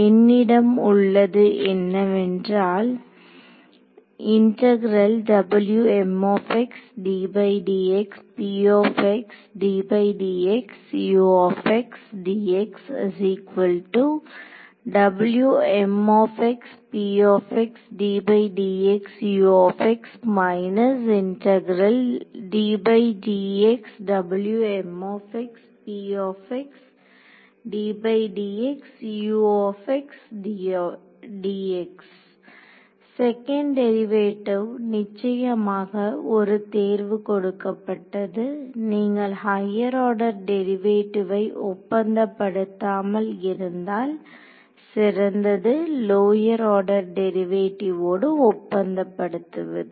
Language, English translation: Tamil, Second derivatives of course, given the choice you would rather not had deal with higher order derivatives better you deal with lower order derivative